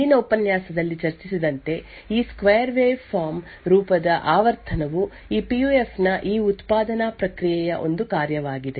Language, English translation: Kannada, As discussed in the previous lecture the frequency of this waveform is a function of these manufacturing process of this PUF